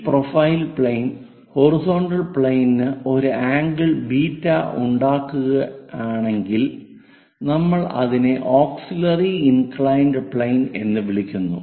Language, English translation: Malayalam, If this profile plane makes an angle beta with the horizontal plane, we called auxiliary inclined plane